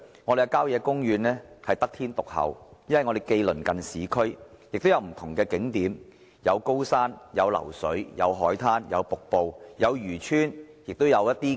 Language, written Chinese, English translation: Cantonese, 我們的郊野公園得天獨厚，既鄰近市區，也有不同景點，有高山、流水、海灘、瀑布、漁村、廟宇。, Blessed by nature our country parks are not only situated in the vicinity of urban areas but also offer different attractions including mountains rivers seashores waterfalls fishing villages and temples